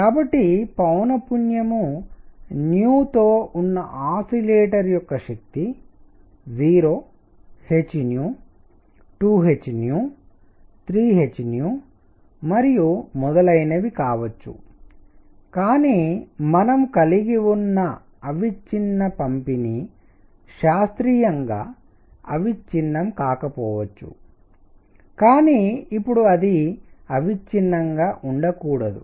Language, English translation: Telugu, So, energy of an oscillator with frequency nu can be 0 h nu, 2 h nu, 3 h nu and so on, but cannot be continuous classically we had continuous distribution, but now it cannot be continuous